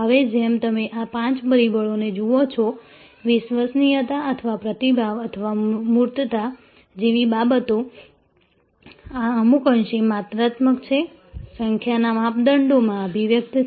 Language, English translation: Gujarati, Now, as you see out these five factors, things like reliability or responsiveness or tangibles, these are somewhat a quantitative, expressible in numbers type of criteria